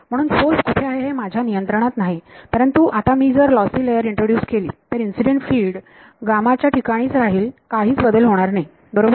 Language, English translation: Marathi, So, I have no control over where the source is, but now if I introduce the if I introduce a lossy layer incident will continues to be at gamma nothing changes right